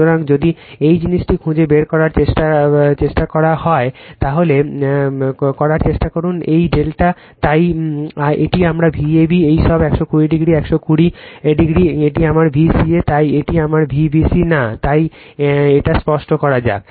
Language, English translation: Bengali, So, if you try to find out if you try to find out this thing, your what you call if you try to make this delta, so, this is my V ab this all 120 degree, 120 this is my V ca, so this my V bc no, so just let me clear it